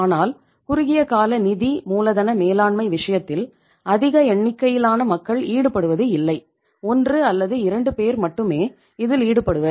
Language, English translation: Tamil, But in case of short term finance working capital management, not large number of the people are involved; only 1 or 2 people are involved